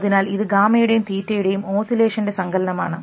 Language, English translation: Malayalam, So, this is a blending of gamma and theta oscillations